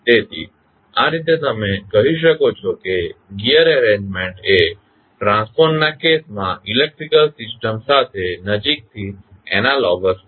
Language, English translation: Gujarati, So, in this way you can say that the gear arrangement is closely analogous to the electrical system in case of the transformer